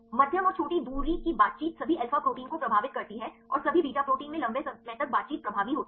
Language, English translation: Hindi, Medium and short range interactions right the influence the all alpha proteins and the longer interactions are dominant in the all beta proteins